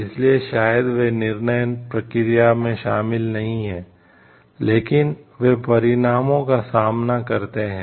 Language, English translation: Hindi, So, maybe they are not involved in the decision process so, but they face the consequences